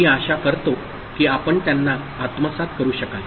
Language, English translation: Marathi, I hope you could assimilate them